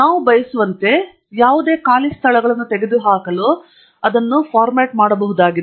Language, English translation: Kannada, We could format it to remove any empty spaces as we wish to have